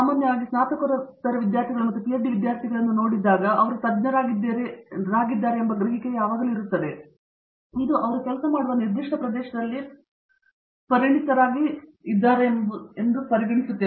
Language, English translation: Kannada, In general when you look at Masters Students and PhD students there is always this perception that they are specialist, which is true they become specialists in a specific area that they working on